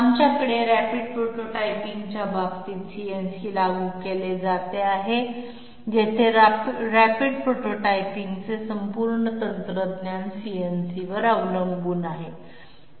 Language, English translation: Marathi, We have CNC being applied in case of say rapid prototyping, where the whole technology of rapid prototyping is dependent upon CNC